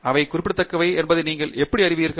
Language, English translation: Tamil, How do you know they are significant